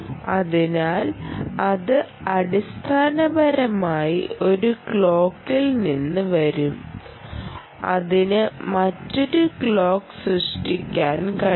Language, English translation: Malayalam, so that will basically come from from one clock and it can generate another clock